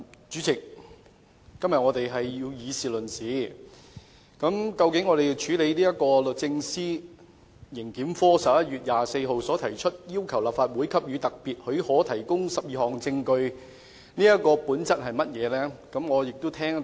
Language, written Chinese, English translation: Cantonese, 主席，我們今天要以事論事，究竟這項由律政司刑事檢控科於11月24日提出的申請，要求立法會給予特別許可提供12項指明文件的本質為何呢？, President today we have to confine our discussion to the matter itself . What actually is the nature of this application made by the Prosecutions Division of the Department of Justice DoJ on 24 November requesting special leave of the Legislative Council to provide 12 specified documents?